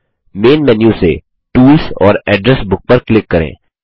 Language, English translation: Hindi, From the Main menu, click on Tools and Address Book